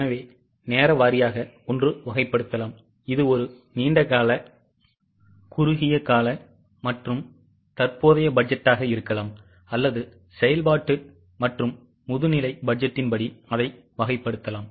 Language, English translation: Tamil, So, time wise, one may categorize it as a long term, short term and current budget, or one can also categorize it as for the functional versus master's budget